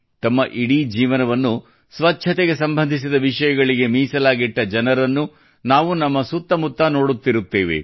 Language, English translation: Kannada, We also see people around us who have devoted their entire lives to issues related to cleanliness